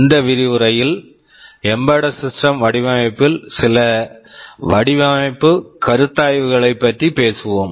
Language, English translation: Tamil, In this lecture we shall be talking about some of the design considerations in embedded system design